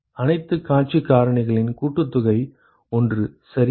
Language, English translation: Tamil, Sum of all the view factors is 1 right